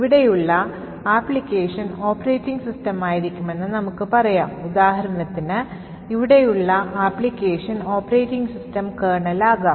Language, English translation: Malayalam, Let us say the application here would be the operating system and say for example the application here for example could be the Operating System Kernel